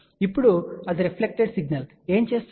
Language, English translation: Telugu, Now, that reflected signal what it does